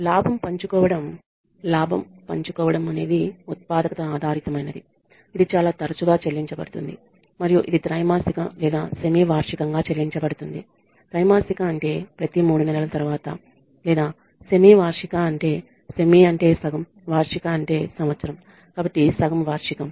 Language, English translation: Telugu, Gain sharing is productivity based it is dispersed more frequently and it is dispersed either quarterly or semi annually which means after quarterly means after every 3 months or semi annually semi means half annual means year so half yearly